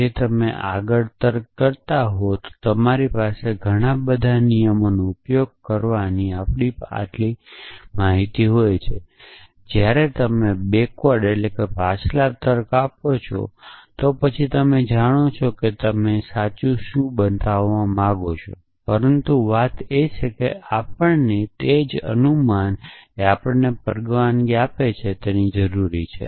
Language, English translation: Gujarati, When you do forward reasoning you have a choice of applying so many rules of inference so much data that we have whereas, if you are doing backward reasoning, then you know what you want to show true, but the thing is that we need a role of inference which allows us to